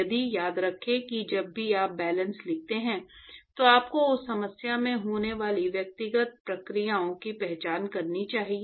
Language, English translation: Hindi, So, remember that whenever you write balances, you must identify the individual processes which are occurring in that problem